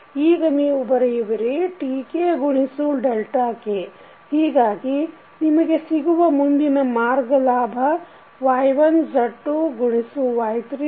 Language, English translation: Kannada, Now you can write Tk into delta k, so what is the forward path gain you have Y1 Z2 into Y3 Z4